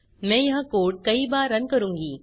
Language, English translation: Hindi, I will run this code a few times